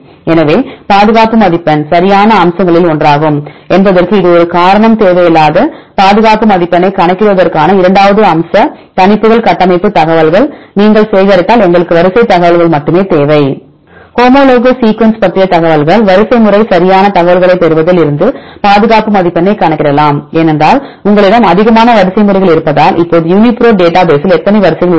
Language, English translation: Tamil, So, this is a reason why the conservation score is one of the features right for the predictions second aspect to calculate the conservation score we do not need any structure information we need only the sequence information if you gather the information regarding homologous sequences you can calculate the conservation score from the sequence right getting sequence information that is easy because you have more number of sequences then structures right how many sequences in the UniProt database now